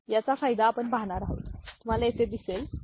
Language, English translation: Marathi, So, the benefit we shall see you will see over here, ok